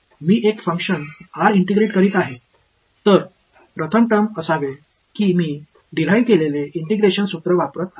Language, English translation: Marathi, I am integrating a function r so, first term should be I am using that the integration formula which I had derived